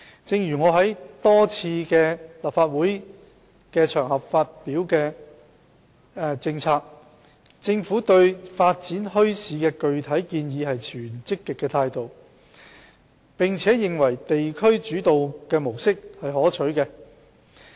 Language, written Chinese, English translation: Cantonese, 正如我多次在立法會場合發表的政策所指，政府對發展墟市的具體建議持積極態度，並且認為地區主導模式是可取的。, As I have pointed out repeatedly in policies announced on various occasions in the Legislative Council the Government is positive about specific proposals for the setting up of bazaars and we consider the district - driven approach desirable